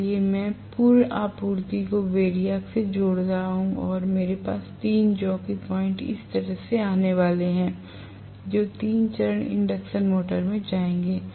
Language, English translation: Hindi, So, I am connecting the full supply to the variac and I am going to have 3 jockey points coming out like this which will go to the 3 phase induction motor right